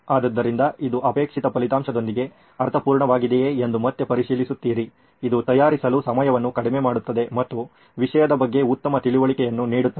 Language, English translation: Kannada, So keep checking back whether it all makes sense with the desired result, is it reducing the time to prepare as well as is it yielding a better understanding of the topic